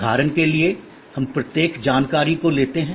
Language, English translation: Hindi, Let us take each one, like for example information